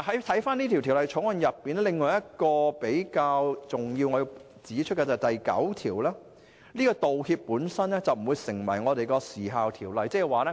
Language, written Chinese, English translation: Cantonese, 《條例草案》另一比較重要而需要指出的條文是第9條，即道歉本身不會成為《時效條例》所指的承認。, Another major provision of the Bill which must be mentioned is clause 9 which provides that an apology does not constitute an acknowledgment within the meaning of the Limitation Ordinance